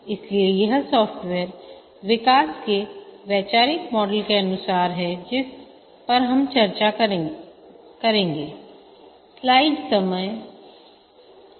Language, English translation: Hindi, So this is according to the conceptual model of software development we are discussing